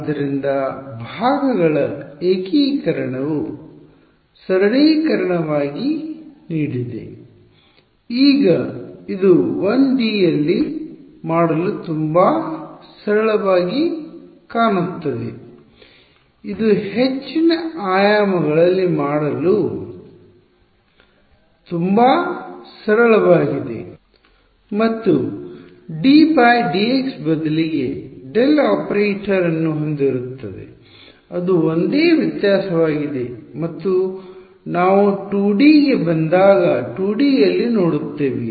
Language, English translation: Kannada, So, integration by parts is what has given as a simplification; now this looks very simple to do in 1D its actually very simple to do in higher dimensions also except that instead of a d by dx will have a del operator that is the only difference and we look at that in 2D when we come to 2D